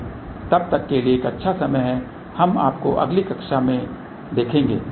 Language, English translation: Hindi, So, till then have a good time we will see you next time